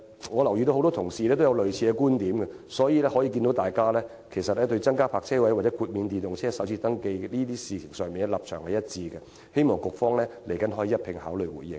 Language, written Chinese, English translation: Cantonese, 我留意到很多同事也持有類似觀點，大家對增加泊車位或豁免電動車首次登記稅這些事宜，立場一致，希望局方稍後可以一併回應。, I observe that many colleagues hold similar views . There is a consensus among Members on the issues of increasing the number of parking spaces and waiving the first registration tax for electric vehicles . I wish the Bureau could give a consolidated response later